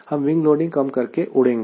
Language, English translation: Hindi, i will fly so that wing loading is low